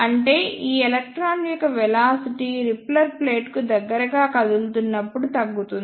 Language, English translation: Telugu, It means the velocity of this electron decreases as it moves closer to the repeller plate